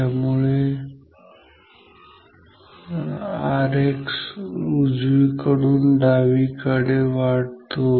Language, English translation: Marathi, So, R X increases from right to left